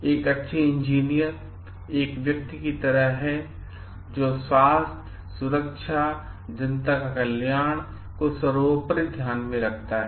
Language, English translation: Hindi, Now, what we find is like a good engineer is a person who takes into consideration health safety and welfare of the public to be of paramount importance